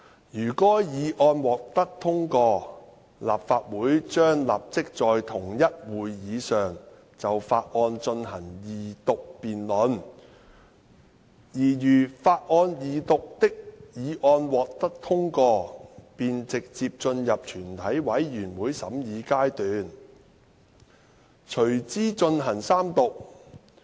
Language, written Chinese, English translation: Cantonese, 如該議案獲得通過，立法會將立即在同一會議上就法案進行二讀辯論，而如法案二讀的議案獲得通過，便直接進入全體委員會審議階段，隨之進行三讀。, If this motion is passed the Council will immediately proceed to debating the motion on the second reading of the bill and if passed will then proceed direct to committee stage and then third reading at the same meeting